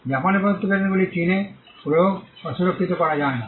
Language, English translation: Bengali, Patents granted in Japan cannot be enforced or protected in China